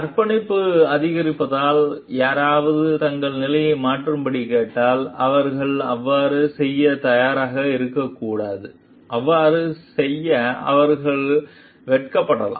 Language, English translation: Tamil, If somebody is asked to change their position due to the escalation of commitment, they may not be willing to do so, they may feel embarrassed to do so